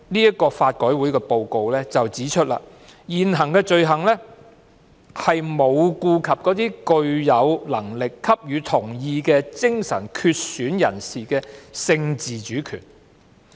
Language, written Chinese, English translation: Cantonese, 然而，法改會報告書指出，現行法例沒有顧及那些具有能力給予同意的精神缺損人士的性自主權。, However it is pointed out in the LRC report that the existing legislation has not taken into account the sexual autonomy of mentally impaired persons who has the capacity to consent